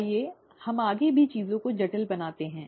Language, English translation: Hindi, Let us complicate things even further